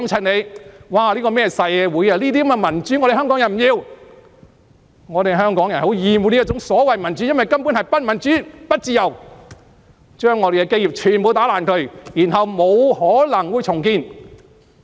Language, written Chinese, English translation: Cantonese, 我們香港人不要這樣的民主，香港人很厭惡這種所謂民主，因為根本是不民主、不自由，將我們的基業全部破壞，然後不可能再重建。, We Hongkongers do not want this kind of democracy . Hongkongers abhor this kind of democracy so to speak for it is downright undemocratic and unfree and it is wreaking havoc on all of our fundamentals making it impossible for us to rebuild ever again